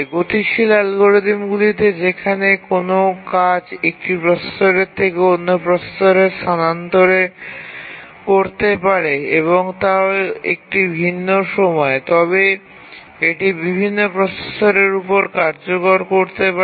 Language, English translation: Bengali, Whereas we also have dynamic algorithms where a task can migrate from one processor to other and at different time instance it can execute on different processors